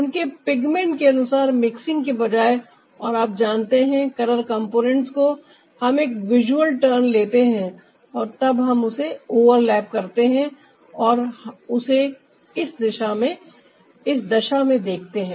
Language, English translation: Hindi, so instead of ah mixing them as per ah, their pigment and ah you know the color component we take a visual ah turn and then we overlap them and we see it in this condition